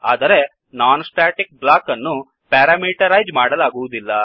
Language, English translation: Kannada, But the non static block cannot be parameterized